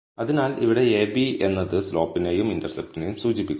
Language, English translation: Malayalam, So, ab here refers to the intercept and slope